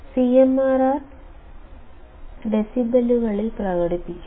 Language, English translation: Malayalam, This is a value that we express in decibels